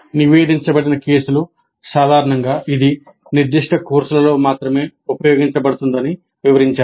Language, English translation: Telugu, Reported cases also generally describe its use in specific courses only